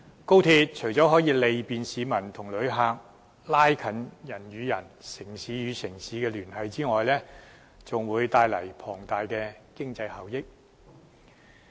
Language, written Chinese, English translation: Cantonese, 高鐵除了可利便市民和旅客，加強人與人、城市與城市之間的聯繫外，更會帶來龐大的經濟效益。, Apart from bringing convenience to the public and travellers as well as strengthening the links between people and those between cities the high - speed rail also brings about huge economic benefits